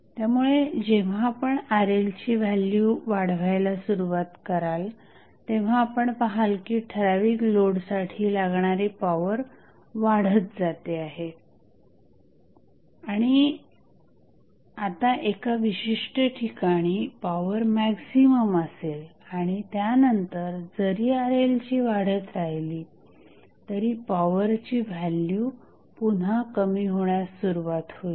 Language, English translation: Marathi, So, when you start increasing the value of Rl, you will see that power which is required for this particular load is increasing and now, at 1 particular instant the power would be maximum and after that the value of power will again start reducing even if the value of Rl is increasing